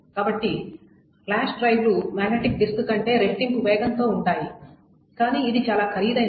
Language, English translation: Telugu, So fly drives are about twice as fast as magnetic disk, but it is also quite costly